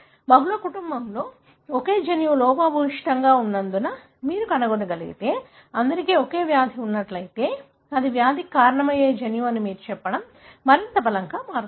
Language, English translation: Telugu, If you can find same gene being defective in multiple families, all having the same disease, then it becomes much more stronger for you to tell this is the gene likely to cause the disease